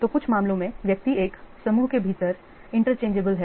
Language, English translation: Hindi, So, in some cases, the individuals are interchangeable within a group